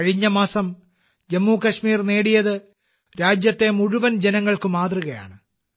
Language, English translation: Malayalam, What Jammu and Kashmir has achieved last month is an example for people across the country